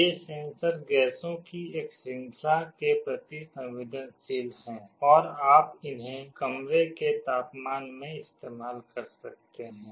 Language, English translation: Hindi, These sensors are sensitive to a range of gases and you can use them in room temperature